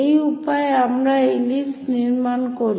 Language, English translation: Bengali, These are the ways we construct ellipse